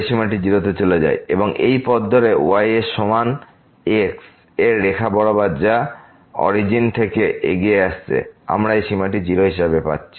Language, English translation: Bengali, So, along this path is equal to along this straight line which is approaching to the origin, we are getting this limit as